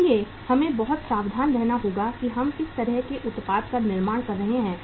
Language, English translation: Hindi, So we have to be very very careful that what kind of the product we are manufacturing